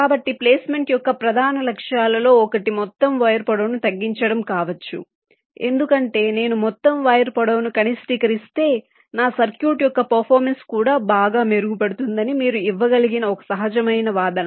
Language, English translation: Telugu, so one of the main objectives of placement may be to reduce the overall wire length, because one intuitive argument you can give that if i minimize the overall wire length it is expected that the performance of my circuit will also improve